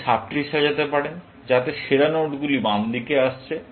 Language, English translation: Bengali, You can order the sub tree, so that, the best nodes are coming to the left side